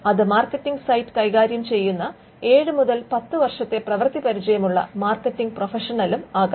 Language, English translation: Malayalam, They could be a marketing professional with seven to ten year experience who do the marketing site